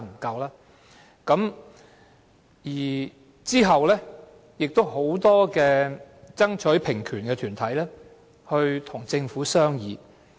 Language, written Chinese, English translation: Cantonese, 其後，很多爭取平權的團體與政府商議。, After that many groups fighting for equal rights engaged in discussions with the Government